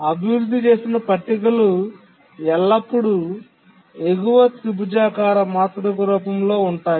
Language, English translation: Telugu, If we look at the tables that we developed, they are always in the form of a upper triangular matrix